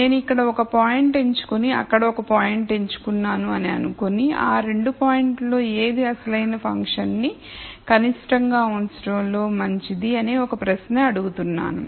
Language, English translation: Telugu, So, if I pick a point here and let us say I pick a point here and ask the question which one of these points is better from a minimization of the original function view point